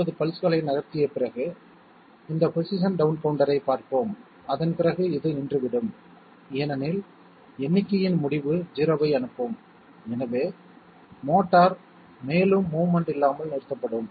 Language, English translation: Tamil, Let us see, this is the position down counter, after 250 pulses have moved through, after that this comes to a stop because end of count will be sending out 0 and therefore, the motor will be stopped from further movement okay